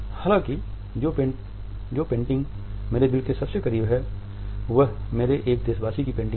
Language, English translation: Hindi, However the painting which is closest to my heart is a painting by one of my countrymen